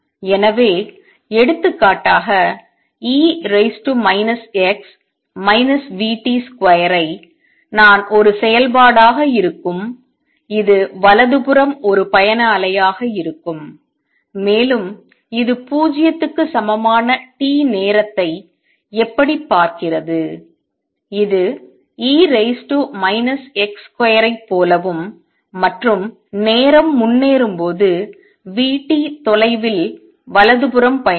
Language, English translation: Tamil, So, for example, if I have e raise to minus x minus v t square as a function this would be a travelling wave to the right and how does it look at time t equal to 0, it look like e raise to minus x square and with time progressing will keep travelling to the right by distance v t